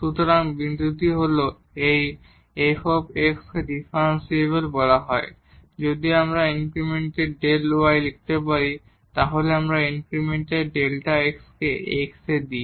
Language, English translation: Bengali, So, the point is that this f x is said to be differentiable if we can write down the increment delta y when we give the increment delta x in x